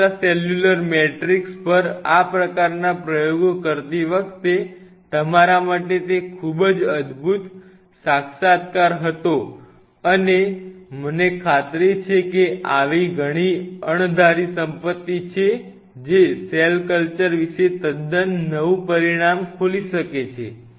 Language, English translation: Gujarati, That was a very stunning revelation for us while doing these kinds of experiments on extracellular matrix and I am pretty sure there are many such undiscovered wealth which may open up a totally new dimension about cell culture